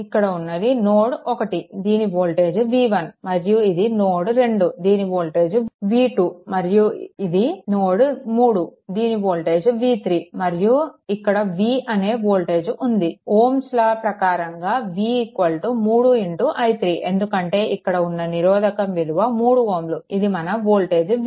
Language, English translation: Telugu, So, listen this is your node 1 this voltage is v 1 right and this is your node 2 voltage is v 2, this is your node 3 voltage is v 3 and volt this one voltage v is here, v actually is equal to 3 into i 3 from Ohms law, because the resistance is 3 ohm this voltage is v right